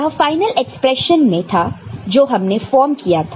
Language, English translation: Hindi, And this was there in final expression that we had formed